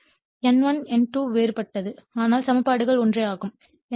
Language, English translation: Tamil, So, N1 N2 only trance difference or different, but equations are same right